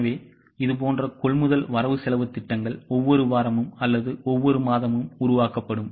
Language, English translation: Tamil, So, such types of purchase budgets will be developed for each week or for each month and so on